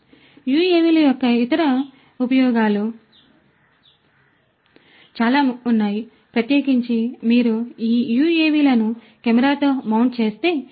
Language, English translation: Telugu, There are lot of different other uses of use of UAVs in agriculture, particularly if you mount these UAVs with a camera